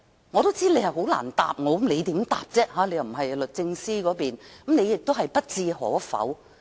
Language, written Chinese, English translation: Cantonese, 我也知道他很難回答，因他並非律政司官員，所以他亦不置可否。, I well understood that he had a hard time answering it because he was not an official from the Department of Justice and therefore he did not commit himself to my question